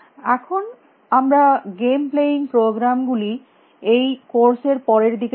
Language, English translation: Bengali, Now, we will see game playing programs later in these codes